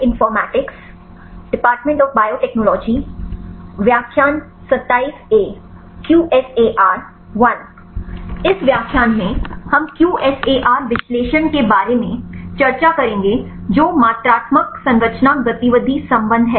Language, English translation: Hindi, In this lecture we will discuss about the QSAR analysis that is quantitative structure activity relationship